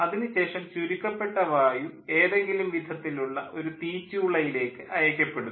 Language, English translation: Malayalam, then, after that, the compressed air is sent to some sort of a combustion chamber and fuel is injected in this